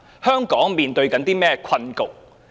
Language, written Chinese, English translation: Cantonese, 香港正面對怎樣的困局呢？, What predicament is faced by Hong Kong at present?